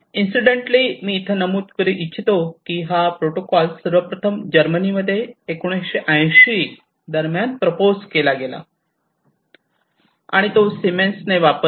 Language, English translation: Marathi, So, and incidentally I should mention over here that, this was first proposed in Germany in the late 1980s, and was used by Siemens